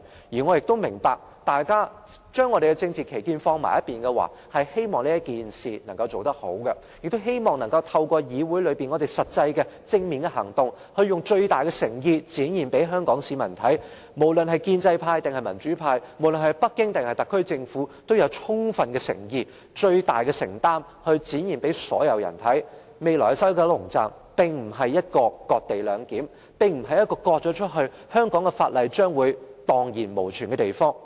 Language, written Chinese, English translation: Cantonese, 我亦明白，大家要將政治分歧放在一旁，做好這件事，亦希望能夠在議會中透過實際和正面的行動，以最大的誠意展現給香港市民看，無論是建制派或民主派，無論是北京還是特區政府，均有充分的誠意和最大的承擔，讓所有人看到，未來的西九龍站並非"割地兩檢"，並非一個被切割出去後，香港法例將會蕩然無存的地方。, I also understand that we should put aside our political difference and deal with this matter properly . I hope through actual and positive action in the Council we can show the people of Hong Kong with the greatest sincerity that be it the pro - establishment or pro - democracy camp Beijing or the Special Administrative Region Government we are most sincere and committed . We should show everyone that the future WKS is not going to carry out any cession - based co - location arrangement